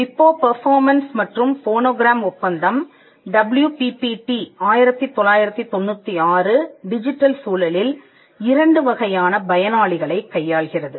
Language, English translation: Tamil, The WIPO performances and phonograms treaty the WPPT 1996 deals with two kinds of beneficiaries in the digital environment